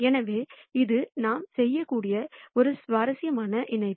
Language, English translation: Tamil, So, it is an interesting connection that we can make